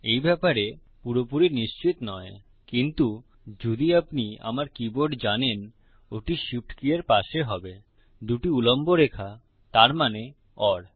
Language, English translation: Bengali, Not quiet sure about that but if you know my keyboard it will be next to the shift key two vertical line that means or